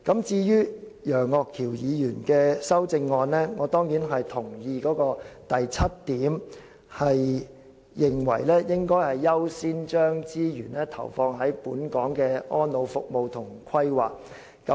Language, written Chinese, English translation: Cantonese, 至於楊岳橋議員的修正案，我當然同意當中第七點所指，當局"應考慮先將資源投放於本港的安老服務及規劃"。, As for Mr Alvin YEUNGs amendment I certainly agree to its point 7 and it states that the authorities should consider as a matter of priority injecting resources into elderly care services and planning in Hong Kong